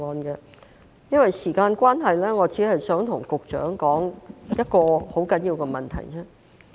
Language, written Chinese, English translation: Cantonese, 由於時間關係，我只想向局長提出一個十分重要的問題。, Due to the time constraint I only wish to draw the Secretarys attention to one very important issue